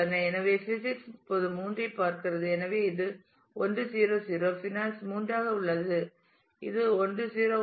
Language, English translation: Tamil, So, physics now is looking into 3; so, it is 1 0 0 finance is into 3 it is 1 0 1